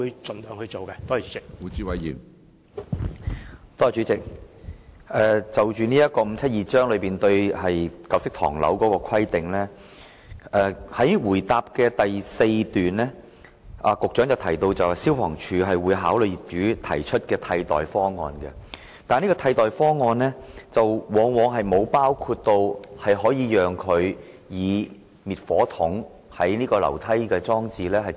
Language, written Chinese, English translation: Cantonese, 主席，就香港法例第572章對舊式唐樓的規定，在主體答覆第四段中，局長提到消防處會考慮業主提出的替代方案，但有關的替代方案往往並無包括讓業主以滅火筒代替樓梯消防喉轆裝置的方案。, President with regard to the provisions on old tenement buildings in Cap . 572 the Secretary said in the fourth paragraph of the main reply that FSD will consider alternative proposals put forward by owners . Nevertheless the alternative proposals considered often do not include allowing owners to replace stairway hose reel systems with fire extinguishers